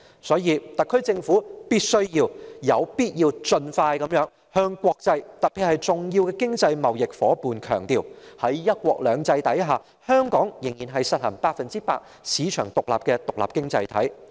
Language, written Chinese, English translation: Cantonese, 因此，特區政府必須盡快向國際強調，特別是向重要的經濟貿易夥伴強調，在"一國兩制"下，香港仍然是實行百分之一百市場經濟的獨立經濟體。, Hence the SAR Government must stress to the international community particularly our major economic partners and trade partners as soon as possible that Hong Kong remains an independent economy practising 100 % market economy under one country two systems